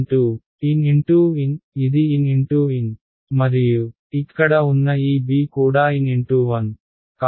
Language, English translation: Telugu, N cross N, this is N cross 1 and this b over here is also N cross 1 right